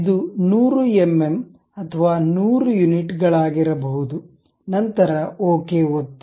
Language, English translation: Kannada, It may be some 100 mm or 100 units, then click ok